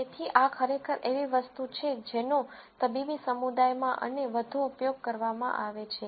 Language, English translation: Gujarati, So, this actually, is something that is used quite a bit for example, in medical community and so on